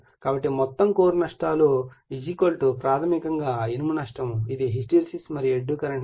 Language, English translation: Telugu, So, total core losses = basically iron loss is this is the hysteresis and eddy current losses